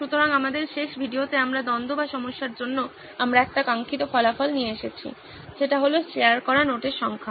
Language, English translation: Bengali, So in our last video, we’ve come up with a desired result for the conflict or the problem we were talking about, that is the number of notes shared